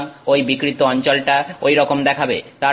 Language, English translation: Bengali, So that deformed region is looks like that